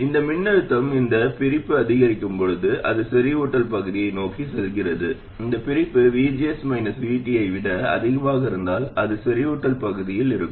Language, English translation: Tamil, As this voltage, as this separation increases, it goes towards saturation region, and if the separation exceeds VGS minus VT, it will be in saturation region